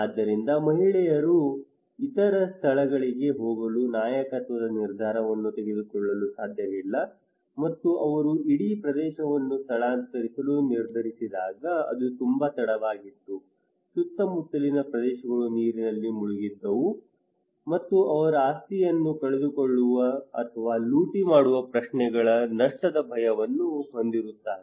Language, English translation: Kannada, So the woman cannot take the leadership decision to go to other places or it was sometimes too late when they decided to evacuate entire area, surrounding areas were inundated with water, and they have also the loss fear of losing property or looting kind of questions